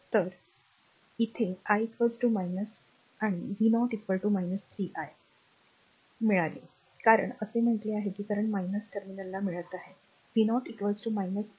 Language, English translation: Marathi, So, here we got i is equal to minus and v 0 is equal to minus 3 into i , because we we said that current getting to the minus terminal so, v 0 is equal to minus 3 i